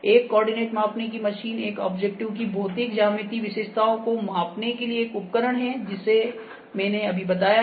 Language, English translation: Hindi, A coordinate measuring machine is a device for measuring the physical geometrical characteristics of an object this I have just explained ok